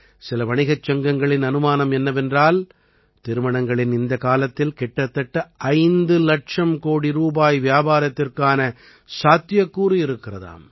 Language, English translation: Tamil, Some trade organizations estimate that there could be a business of around Rs 5 lakh croreduring this wedding season